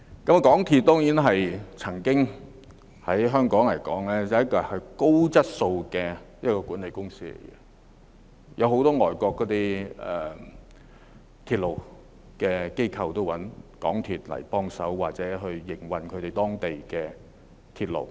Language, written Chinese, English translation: Cantonese, 港鐵公司曾經是香港一間具備高質素管理的公司，很多外國的鐵路機構也會找港鐵公司協助營運當地的鐵路。, MTRCL used to be a company the management of which was of high quality in Hong Kong . Many foreign railway organizations such as those in London and Australia would seek assistance from MTRCL in operating their local railways